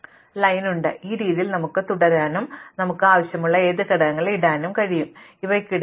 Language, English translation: Malayalam, But, in this way we can continue and put any elements we want and there are infinitely many arrays of size 4